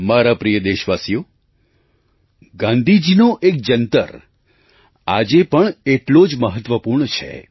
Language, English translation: Gujarati, My dear countrymen, one of Gandhiji's mantras is very relevant event today